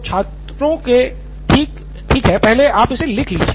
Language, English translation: Hindi, So students , okay I will let you write it